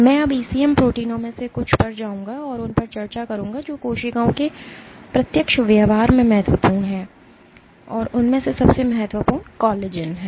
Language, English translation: Hindi, I will now go and discuss some of the ECM proteins which are of key essence in directing behavior of cells and the most important of them is collagen